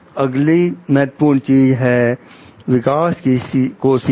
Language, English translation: Hindi, Next important is nurtures growth